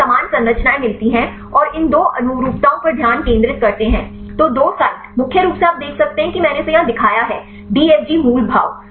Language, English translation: Hindi, We get similar structures and focus on these two conformations; the two sites, mainly you can see I showed this here; DFG motif